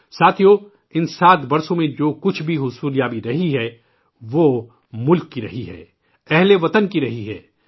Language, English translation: Urdu, Friends, whatever we have accomplished in these 7 years, it has been of the country, of the countrymen